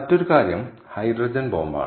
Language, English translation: Malayalam, the other thing is the hydrogen bomb